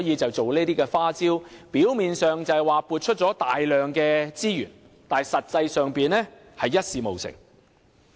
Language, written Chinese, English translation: Cantonese, 政府利用這些花招，表面上是撥出了大量資源，但實際上一事無成。, The Government appears to have allocated plenty of resources by exploiting such tricks but it has practically done nothing